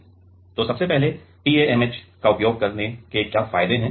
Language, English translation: Hindi, So, first of all, what are the advantages of using TMAH